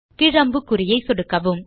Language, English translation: Tamil, Left click the down arrow